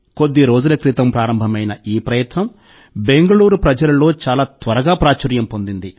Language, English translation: Telugu, This initiative which started a few days ago has become very popular among the people of Bengaluru